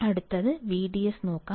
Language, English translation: Malayalam, Let us see next one V D S